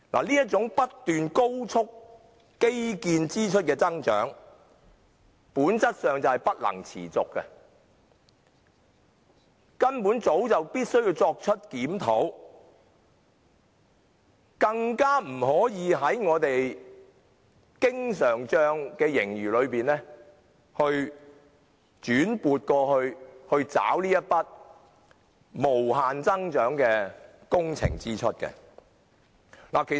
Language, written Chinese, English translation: Cantonese, 基建支出不斷高速增長，基本工程儲備基金不能維持下去，政府早就應該作出檢討，更不可把經常帳盈餘轉撥作為這筆無限增長的工程支出結帳之用。, Owing to the rapid and continuous increase in infrastructure expenditure CWRF will be able to cope . The Government should have reviewed the situation a long time ago and should not use the surplus in the current account to meet the ever - growing expenses of works projects